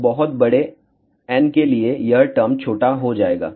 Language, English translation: Hindi, So, for very large n this term will become small